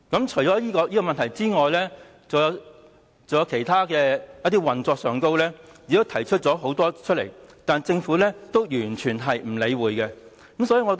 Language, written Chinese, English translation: Cantonese, 除了這個問題外，很多其他運作上的問題也提出了，但政府也是完全不理會。, Apart from these problems many other problems concerning operation have been voiced yet the Government simply ignores them